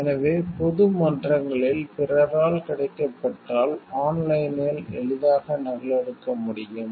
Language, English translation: Tamil, So, can be easily copied online if it is made available by others in public forums